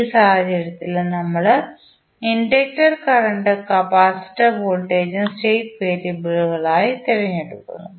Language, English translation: Malayalam, In this case also we select inductor current and capacitor voltage as the state variables